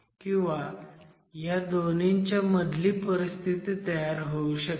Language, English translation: Marathi, And you could have a situation which is actually in between the two